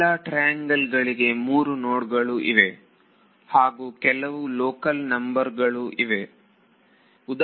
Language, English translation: Kannada, Each of these triangles has three nodes and there will be some local numbers